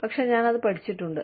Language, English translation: Malayalam, But, I have studied it